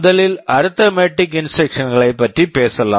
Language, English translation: Tamil, First let us talk about the arithmetic instructions